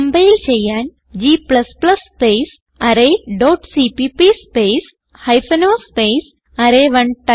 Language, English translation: Malayalam, To compile type, g++ space array dot cpp space hypen o space array1